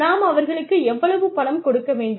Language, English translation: Tamil, We need to give them money